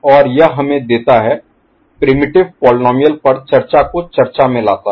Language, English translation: Hindi, And that gives us brings to the discussion of discussion on primitive polynomials